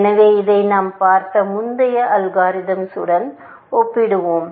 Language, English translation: Tamil, So, let us compare this with the earlier algorithm we have seen